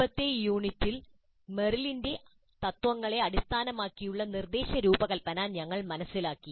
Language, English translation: Malayalam, In the earlier unit, we understood instruction design based on Merrill's principles